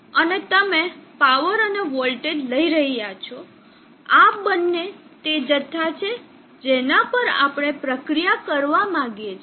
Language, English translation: Gujarati, And you are taking the power and the voltage these two are the quantities that we like to process